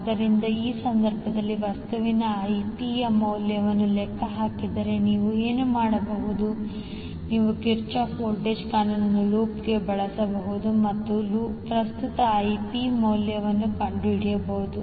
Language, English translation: Kannada, So in that case, if calculate the value of the current Ip, what you can do, you can simply use Kirchhoff Voltage Law in the loop and find out the value of current Ip